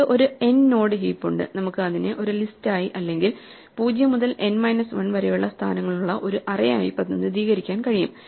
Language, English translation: Malayalam, So, we have an n node heap, we can represent it as a list or an array with position 0 to n minus 1